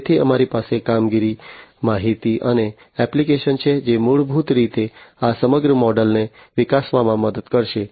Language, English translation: Gujarati, So, in between we have the operations, information, and application, which will basically help in grewing up this entire model